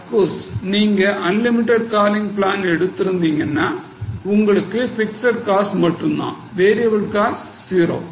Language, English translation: Tamil, Of course, if you have got unlimited calling plan, then variable cost is zero